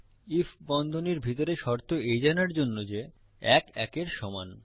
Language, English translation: Bengali, If inside the bracket is the condition to know whether 1 equals 1